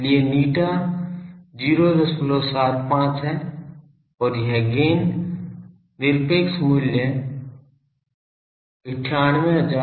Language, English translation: Hindi, 75 and this gain is absolute value is 98696